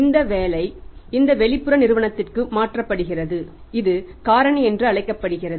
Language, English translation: Tamil, And this job is transferred to this external agency which is called as Factor